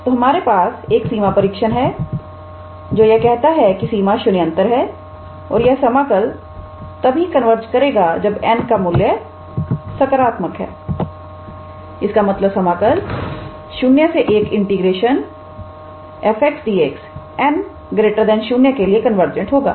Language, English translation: Hindi, So, we have a limit test which says that the limit is non 0 and we were able to show that this integral converges only when n is positive; that means, the integral from 0 to 1 f x d x is convergent for n greater than 0